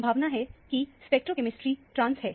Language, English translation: Hindi, The stereochemistry probably is a trans